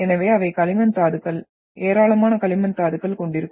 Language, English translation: Tamil, So they are having the clay minerals, abundant clay minerals in that